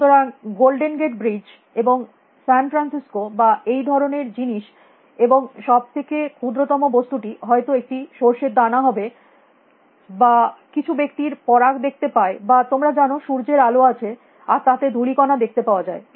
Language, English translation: Bengali, So, like the golden gate bridge and San Fransisco or something like that, and the smallest thing is may be a mustard seed or may be some people can see pollen you know there is rays of light and you can see dust particles